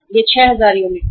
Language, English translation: Hindi, This is 6000 units